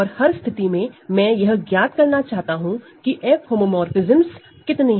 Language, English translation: Hindi, And in each case, I want to determine how many F homomorphisms are there